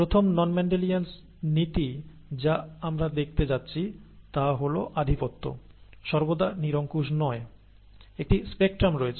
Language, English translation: Bengali, The first non Mendelian principle that we are going to look at is that dominance is not always, excuse me, absolute, a spectrum exists